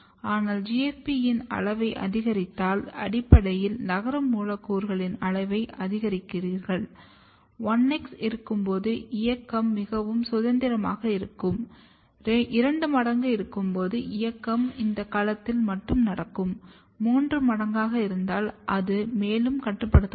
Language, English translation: Tamil, But if you increase the size of GFP, basically you are increasing the mobile molecules, the size of mobile molecules, when you have 1x mobility is very freely; when you have 2x, mobility is restricted only this domain; if we have 3x, it is further restricted